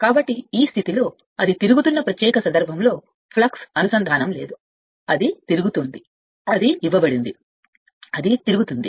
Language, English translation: Telugu, So, at this position there is no flux linkage at that particular instance it is revolving, it is revolving it is given it is revolving say by some means we are making it to rotate right